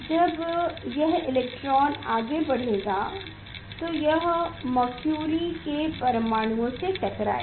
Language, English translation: Hindi, when this electrons will move it will collide with the mercury atoms mercury atoms